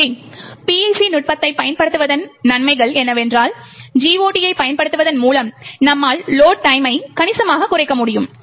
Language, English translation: Tamil, So, the advantages of using PIC technique that is with using the GOT is that you have reduced the load time considerably